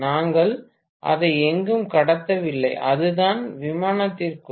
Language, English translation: Tamil, We are not transmitting it anywhere, it is within the aircraft itself